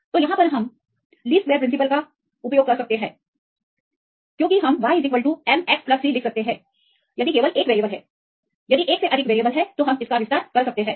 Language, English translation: Hindi, So, then we use the principle of least squares to obtain the coefficients because we can write y equal to m x plus c; if there is only one variable; if it is more you can extend